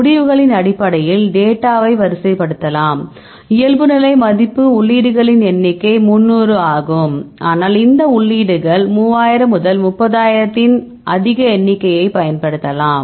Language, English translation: Tamil, So, you can sort your data based on the results, the number of entries the default value is 300, but you can use the more number of 3000 30000’s these entries